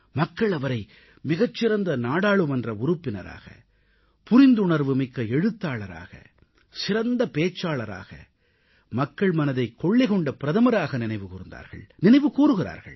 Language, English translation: Tamil, People remembered him as the best member of Parliament, sensitive writer, best orator and most popular Prime Minister and will continue to remember him